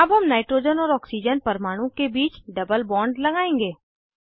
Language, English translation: Hindi, Now we will introduce a double bond between nitrogen and oxygen atom